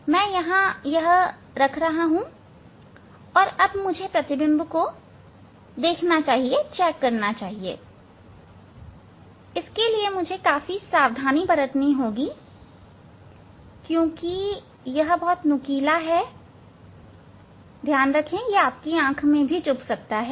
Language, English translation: Hindi, I am keeping here, and I should check the image whether it is one has to be very careful because this is very sharp it can hit your eyes